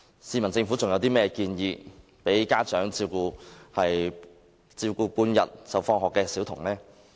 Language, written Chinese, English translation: Cantonese, 試問政府還有甚麼建議讓家長可以照顧下午放學的小童？, Can the Government offer any suggestion that can allow parents to take care of children who finish school in the afternoon?